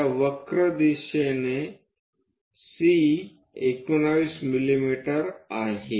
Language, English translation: Marathi, On that C constant of the curve is 19 mm